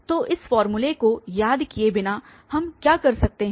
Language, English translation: Hindi, So, without remembering this formula what we can do